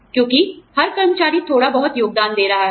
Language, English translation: Hindi, Because, every employee is contributing, a little bit